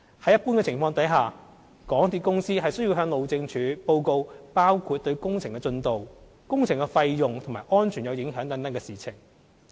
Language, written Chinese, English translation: Cantonese, 在一般情況下，港鐵公司須向路政署報告包括對工程進度、工程費用及安全有影響等的事情。, In general MTRCL should report to the Highways Department matters relating to the progress of works the cost of works as well as safety concerns